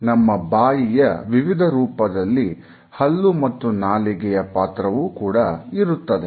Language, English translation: Kannada, The shapes which our mouth takes are also supported by our teeth and our tongue